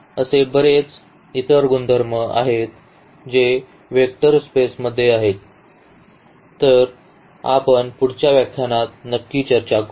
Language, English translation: Marathi, So, there are so many other properties which are vector space has; so, that we will discuss exactly in the next lecture